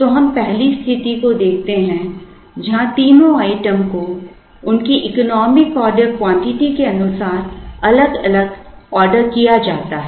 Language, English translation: Hindi, So, we look at the 1st situation, when the 3 items are ordered separately according to their economic order quantities